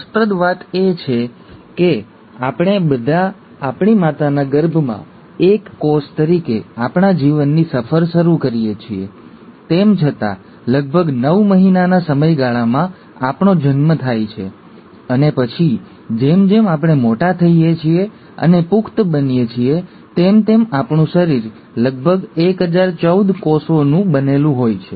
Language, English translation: Gujarati, What's interesting is to note that though we all start our life’s journey as a single cell in our mother’s womb, in about nine months’ time, we are born, and then later as we grow and become an adult, our body is made up of roughly 1014 cells